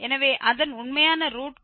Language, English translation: Tamil, So, we can see it is the actual root was also 0